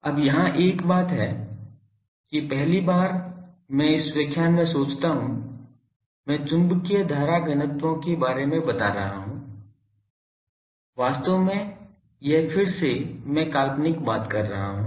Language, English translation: Hindi, Now, here there is a thing that for the first time I think in this lecture, I am telling about magnetic current densities actually this is a again I am hypothetical thing